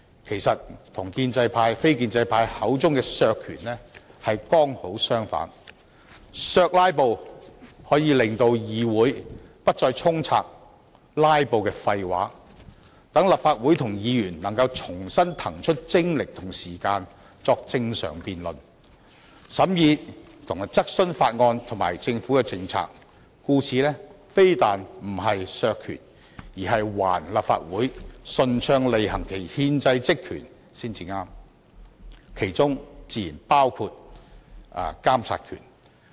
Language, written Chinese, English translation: Cantonese, 其實，與非建制派口中的削權剛好相反，"削'拉布'"可以令議會不再充斥"拉布"的廢話，讓立法會及議員能夠重新騰出精力及時間，正常辯論、審議及質詢法案及政府的政策，故此"削'拉布'"非但不是削權，更是還立法會順暢履行其憲制職權的權利才對，而其中自然包括監察權。, Actually in contrast to a reduction in powers as described by the non - establishment camp our move to counter filibustering can stop the nonsense of filibusterers from pervading the Chamber so that Members and the Council can refocus their energy and time on the normal business of debating examining and questioning bills and government policies . In the light of this our move to counter filibustering is by no means an attempt to reduce powers . Rather it is aimed at restoring the Councils right to smoothly exercise its constitutional powers and functions which naturally include its monitoring power